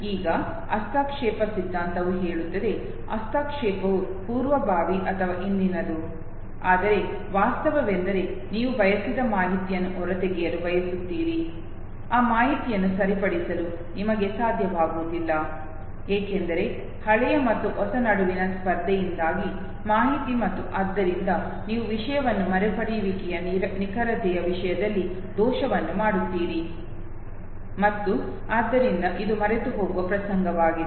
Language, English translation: Kannada, Now interference theory says, that either the interference is proactive or retroactive, but the fact remains that whatever is the desired information that you want to extract out, that information you are not able to okay, because of this competition between the old and the new information and their fore you commit an error in terms of accuracy of recall of the content and therefore it is an episode of forgetting